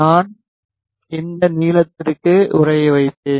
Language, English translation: Tamil, I will freeze to this length